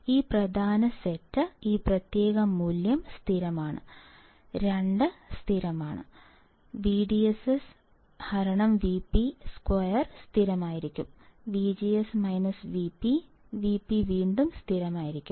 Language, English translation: Malayalam, So, this main set, this particular value is constant; 2 is constant, I DS by V p whole square will be constant, V G S minus V p, V p is again constant